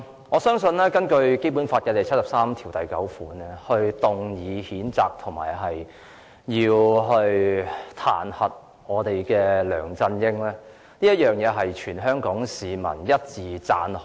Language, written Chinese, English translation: Cantonese, 我相信根據《基本法》第七十三條第九項動議的譴責和彈劾梁振英的議案獲得全港市民一致讚好。, I believe the motion on censuring and impeaching LEUNG Chun - ying under Article 739 of the Basic Law has earned unanimous appreciation from all Hong Kong people